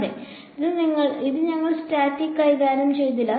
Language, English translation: Malayalam, Yeah in this we will not deal with static